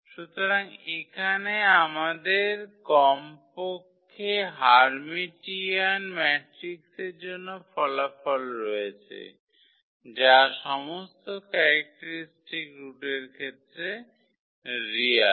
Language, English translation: Bengali, So, here we have at least the results for the Hermitian matrix that all the characteristic roots are real in this case